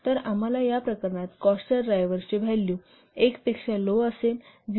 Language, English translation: Marathi, So we have to see in that case the value of the cost driver will be less than one